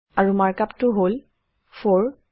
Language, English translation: Assamese, And the markup is:, 4